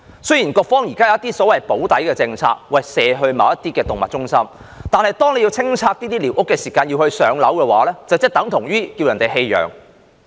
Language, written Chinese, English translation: Cantonese, 雖然局方現時有所謂的"補底"政策，將動物轉介動物中心，但如果在清拆寮屋時居民獲安排"上樓"，這便等於要求他們棄養。, While it is true to say that the Bureau has now put in place a remedial policy of referring such animals to animal centres residents whose squatter structures have been demolished are virtually asked to abandon their animals if they receive public housing allocation